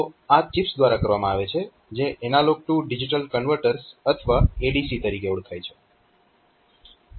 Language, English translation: Gujarati, So, these are the, these are done by the chips which are known as analog to digital converters or ADC's